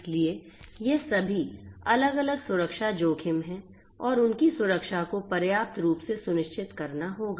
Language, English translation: Hindi, So, all of these are different security risks and the their security will have to be ensured adequately